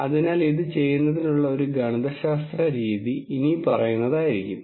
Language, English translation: Malayalam, So, mathematical way of doing this would be the following